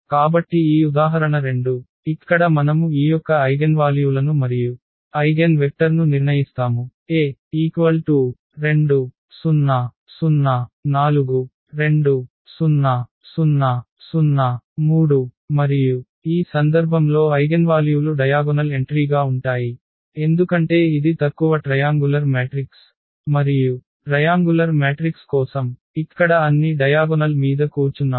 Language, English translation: Telugu, So this example 2, where we determine the eigenvalues and eigenvectors of this A the matrix is given here 2 4 0 0 2 0 0 0 3 and in this case one can compute easily the eigenvalues will be the diagonal entries because it is a lower triangular matrix and for the triangular matrices, we have all the eigenvalues sitting on the diagonals here